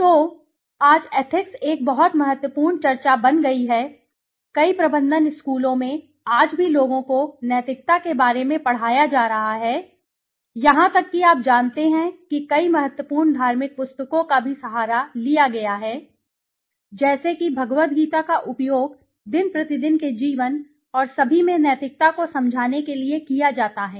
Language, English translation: Hindi, So, today ethics has become a very, very important discussion, in many management schools today the people are being taught about ethics through several even you know, important religious books also been taken help of supported by like Bhagwad Geeta being used to explain ethics you know in day to day life and all